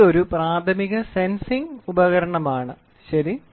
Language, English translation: Malayalam, This is a primary sensing device, ok